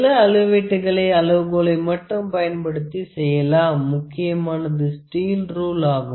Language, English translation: Tamil, There are certain measurements that we can just do using the scale, the main the general steel rule